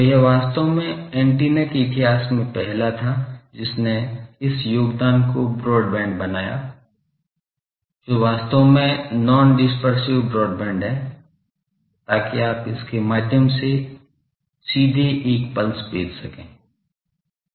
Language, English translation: Hindi, So, that actually was the first in the history of antenna that made this contribution that broadband, but really non dispersive broadband, so that you can send a pulse directly through that